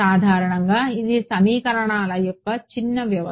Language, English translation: Telugu, In general it is a sparse system of equations